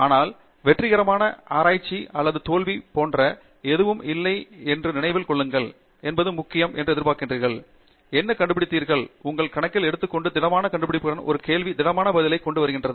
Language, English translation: Tamil, But remember there is nothing like success or failure in research, what is important is, what you expect and what you have discovered, and taking that into your account and coming up with the solid discovery, with the solid answer to a question